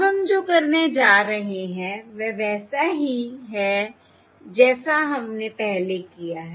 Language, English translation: Hindi, Now what we are going to do is similar to what we have done before